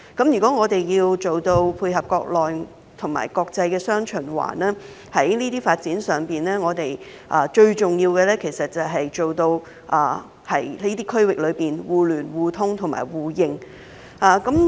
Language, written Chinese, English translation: Cantonese, 如果我們要做到配合國內及國際雙循環，在這些發展上，最重要就是在這些區域內達致互聯互通互認。, If we are to fit in with the domestic and international dual circulation the most important aspect of these developments is to achieve interconnection mutual access and mutual recognition across these regions